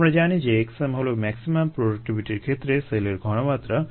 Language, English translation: Bengali, we know that x m is ah, the, the cell concentration at the maximum productivity